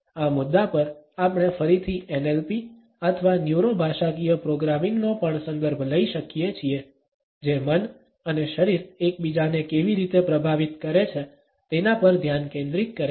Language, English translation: Gujarati, At this point, we can also refer to NLP or the Neuro Linguistic Programming again, which focuses on how mind and body influence each other